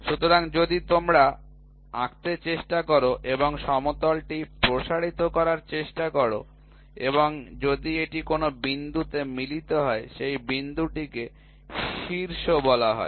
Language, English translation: Bengali, So, if you try to draw and you try to extend the flat plane and if it meets at a point; so, that point is called as the apex, right